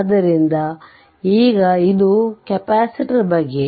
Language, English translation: Kannada, So, now this is this is all about capacitor